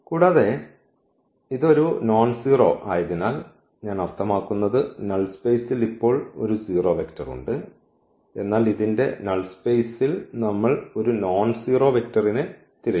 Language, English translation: Malayalam, And, since it is a nonzero I mean the null space also has a now has a 0 vector, but we are looking for the nonzero vector in the null space of this